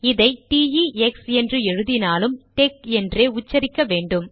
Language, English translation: Tamil, Although it has the spelling t e x, it is pronounced tec